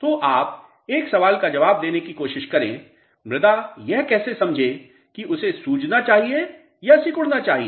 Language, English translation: Hindi, So, you try to answer one question how soil would understand whether it should swell or it should shrink